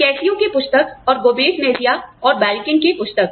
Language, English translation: Hindi, The book by Cascio, and the book by, Gomez Mejia and Belkin